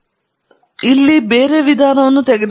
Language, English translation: Kannada, So, let’s take a different approach here